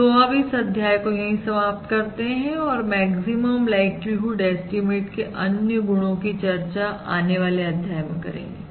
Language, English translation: Hindi, So we will stop this module here and explore other properties of the maximum likelihood estimate in the subsequent modules